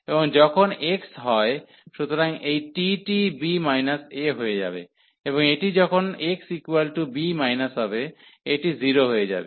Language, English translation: Bengali, And then when x is a, so this t will become b minus a, and this when x is b minus, so this will become 0